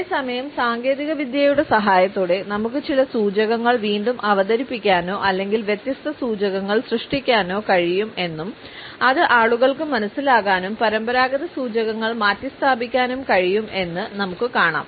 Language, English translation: Malayalam, At the same time, we find that with a help of technology, we can re introduce certain cues or generate a different set of cues, which can be understood by people and can replace the conventional set of cues